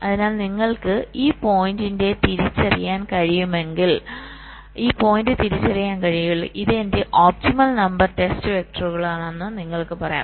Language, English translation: Malayalam, so if you can identify this point, then you can say that well, this is my optimum number of test vectors, i will apply so many